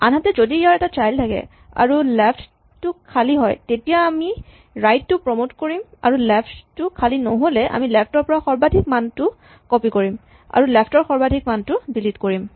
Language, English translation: Assamese, So, actually in this case if the left is empty then we just promote the right and if it is left is not empty then we will copy the maximum value from the left and delete the maximum value on the left